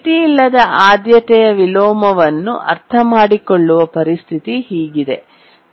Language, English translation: Kannada, To understand unbounded priority inversion, let's consider the following situation